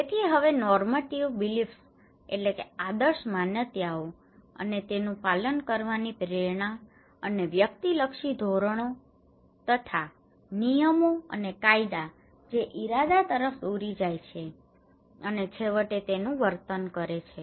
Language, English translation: Gujarati, So now normative beliefs and motivation to comply and the subjective norms okay rules and regulations that leads to intention and eventually the behaviour